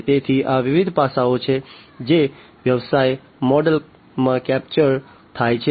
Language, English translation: Gujarati, So, these are the different aspects that are captured in a business model